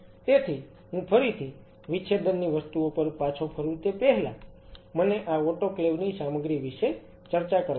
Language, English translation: Gujarati, So, just before I again get back to the dissecting thing, let me talk about this autoclave stuff